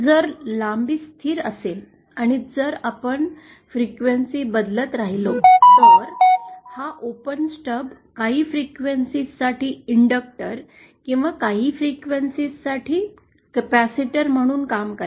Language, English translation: Marathi, If the length is constant, and if we keep varying the frequency, then this open stub will act as a inductor for some frequencies or as a capacitor for some frequencies